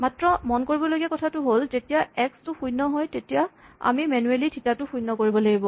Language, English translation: Assamese, Only thing we have to take care is when x is equal to 0, we have to manually set theta to 0